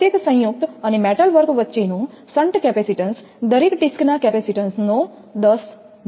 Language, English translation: Gujarati, The shunt capacitance between each joint and metalwork is 10 percent of the capacitance of each disc